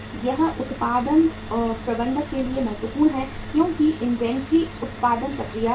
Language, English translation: Hindi, It is important for the production manager because inventory is related to the production process